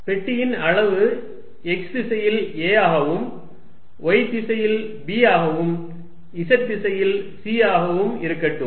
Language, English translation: Tamil, Let the size of the box be a in the x direction, b in the y direction and c in the z direction